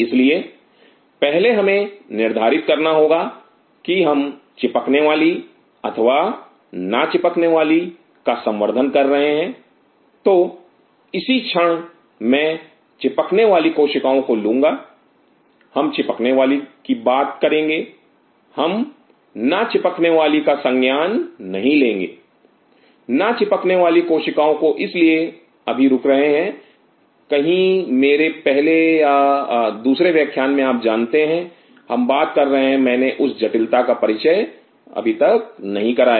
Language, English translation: Hindi, So, first we have to decide our we culturing Adhering or Non adhering at this point I will stick to the adhering cells, we talk about the adhering we are not taking account the non adhering cell that is why give a pause in somewhere in my first or second lecture that you know are we talking about what I did not introduced that complexity